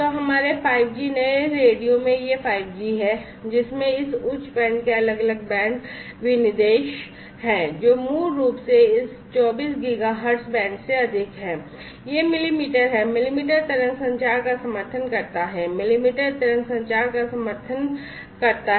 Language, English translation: Hindi, So, there is this 5G in our 5G new radio which has different band specifications this high band, which is basically more than this 24 Giga hertz band is this millimetre, supports millimetre wave communication, supports millimetre wave communication